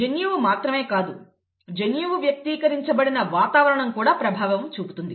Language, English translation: Telugu, Not just the gene, the environment in which the gene is expressed could have an impact